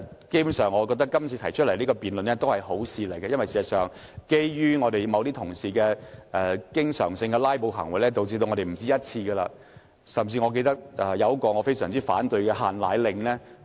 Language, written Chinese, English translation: Cantonese, 基本上，我覺得今次提出這項辯論是好事，因為事實上，由於某些同事經常性的"拉布"行為，我們不止一次無法就規例表達立場，包括一項我非常反對的"限奶令"相關規例。, Basically I think this debate is desirable . As a matter of fact since some Members used to filibuster all the time we could not on more than one occasion express our stance on certain regulation such as the relevant regulations on powdered formula restriction order which I strongly opposed